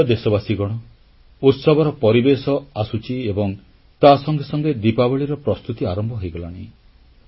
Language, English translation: Odia, There is a mood of festivity and with this the preparations for Diwali also begin